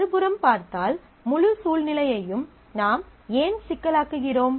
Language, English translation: Tamil, On the other hand, if you look at, well why am I complicating the whole situation